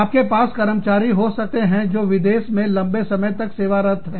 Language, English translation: Hindi, You have an employee, who served in a foreign country, for a long time